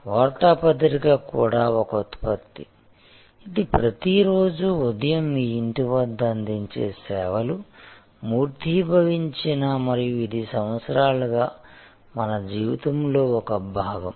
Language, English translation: Telugu, So, newspaper was a product which was also in a way embodied a service, news delivery service was delivered at your doorstep every morning and it was part of our life for years